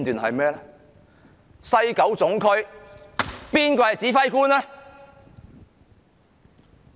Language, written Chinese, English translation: Cantonese, 誰是西九龍總區的指揮官呢？, Who is the Regional Commander of Kowloon West?